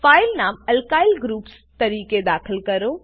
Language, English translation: Gujarati, Enter the file name as Alkyl Groups